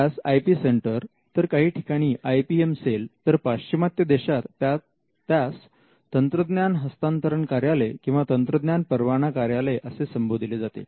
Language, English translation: Marathi, It is called the IP Centre, in some places it is called the IPM Cell, in the west it is called the Technology Transfer Office or the Technology Licensing Office